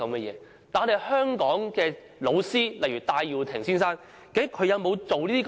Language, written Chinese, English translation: Cantonese, 然而，香港的老師，例如戴耀廷先生，究竟他有沒有做這些事？, However have the pedagogues in Hong Kong for example Mr Benny TAI ever done this sort of things?